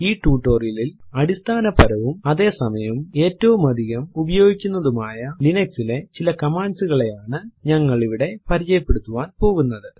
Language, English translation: Malayalam, In this tutorial we will make ourselves acquainted with some of the most basic yet heavily used commands of Linux